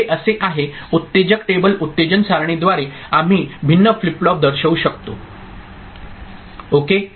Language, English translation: Marathi, So this is how excitation table is through excitation table we can represent different flip flops ok